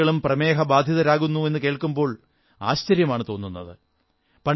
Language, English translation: Malayalam, It is indeed surprising today, when we hear that children are suffering from diabetes